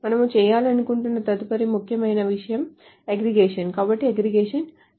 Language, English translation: Telugu, The next important thing that we want to do is the aggregation